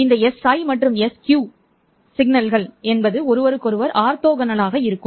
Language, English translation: Tamil, These s i and sq signals will be orthogonal to each other